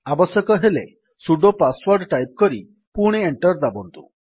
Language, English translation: Odia, Enter the sudo password if required and press Enter again